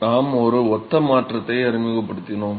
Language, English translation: Tamil, So, we introduced a similarity transformation